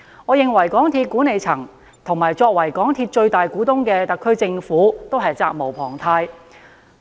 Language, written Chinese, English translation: Cantonese, 我認為，港鐵公司的管理層及作為港鐵公司最大股東的特區政府均責無旁貸。, I hold that the MTRCL management and the Government who is the biggest shareholder of MTRCL should be accountable